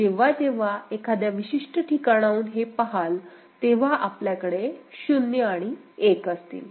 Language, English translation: Marathi, Whenever you see that from a particular place, you are having a 0’s and 1’s right